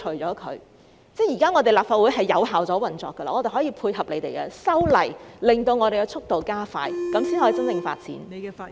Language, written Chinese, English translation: Cantonese, 我們的立法會現已有效地運作，可以配合政府修例，令速度加快，這樣才可以真正地發展。, The Legislative Council has been operating effectively now and can cooperate with the Government in its legislative amendment exercises to speed up the process . Only in this way can genuine development be possible